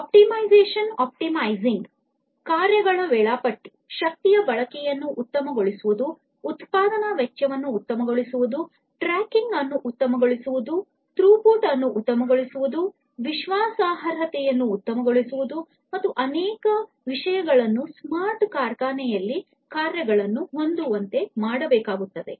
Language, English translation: Kannada, Optimization optimizing the tasks, scheduling of the tasks, optimizing the usage of energy, optimizing the cost of production, optimizing tracking, optimizing throughput, optimizing reliability, and many others many so, many different other things will have to be optimized in a smart factory